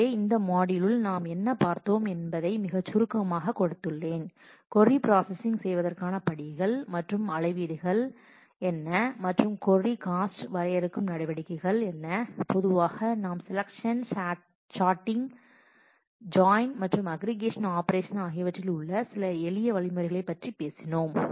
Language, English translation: Tamil, So, we have in this module we have just given a very brief outline of what is what are the steps involved in query processing and what are the measures that define a query cost typically and we have been talked about some of the simple algorithms for selection, sorting, join and aggregation operations